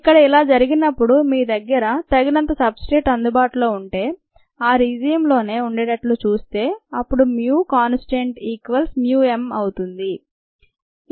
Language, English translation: Telugu, if it happens to be here, if you have enough substrate and you happen to be in this region, then mu becomes a constant, equals mu m